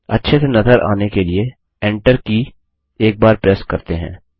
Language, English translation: Hindi, For readability we will press the Enter key once